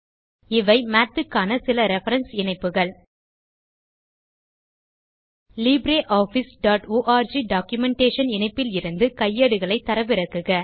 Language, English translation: Tamil, Here are some reference links for Math: Download guides at libreoffice.org documentation link